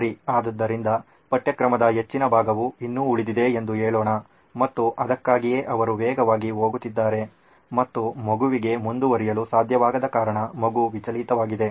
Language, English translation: Kannada, So let’s say a large portion of syllabus still remains and she is not able to cover that’s why she is going fast and since the kid cannot keep up the kid is distracted